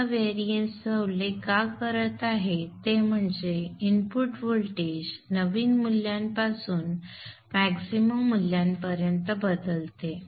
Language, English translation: Marathi, This variation, why I am mentioning this variation is that the input voltage varies from a minimum value to a maximum value